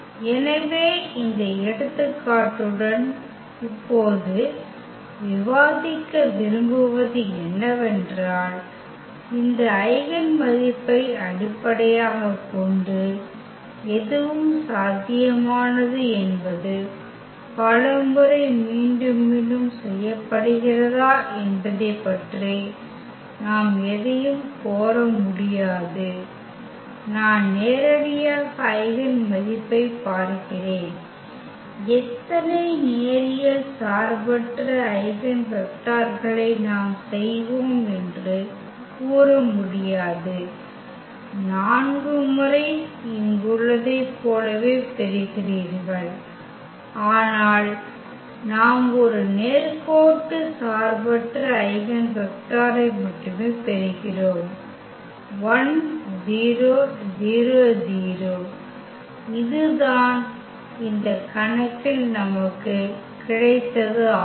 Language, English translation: Tamil, So, what we want to discuss now with this example that that anything is possible just based on this eigenvalue whether it’s repeated several times we cannot claim anything about I mean directly looking at the eigenvalue, we cannot claim that how many linearly independent eigenvectors we will get as this is the case here the eigenvalue was repeated 4 times, but we are getting only 1 linearly independent eigenvector and that is this 1 0 0 in this case